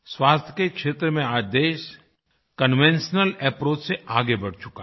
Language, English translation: Hindi, In the health sector the nation has now moved ahead from the conventional approach